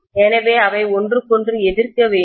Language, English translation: Tamil, So they have to oppose each other